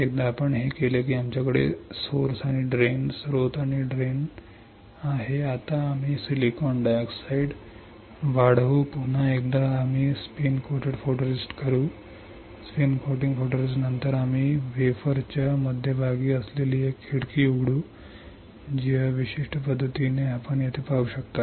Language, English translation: Marathi, Once we do this we have source and drain now we will grow silicon dioxide once again we will spin coat photoresist, after spin coating photoresist we will open a window which is in the centre of the wafer, which in this particular fashion you can see here